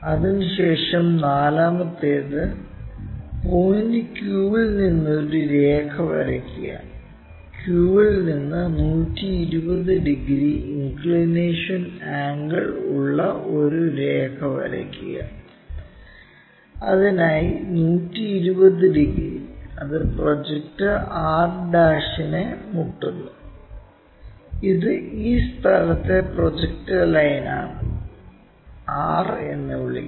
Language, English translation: Malayalam, After that the fourth one, draw a line from point q, from q draw a line which is at 120 degrees inclination angle in that way, 120 degrees for that and it meets the projector r', this is the projector line at this location and call r